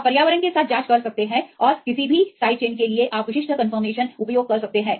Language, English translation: Hindi, You can check with the environment and you can use the particular conformation for any side chain